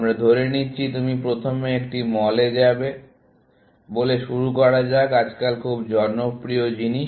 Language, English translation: Bengali, So, let us say that you start up, by saying that you will go to a mall; very popular thing, nowadays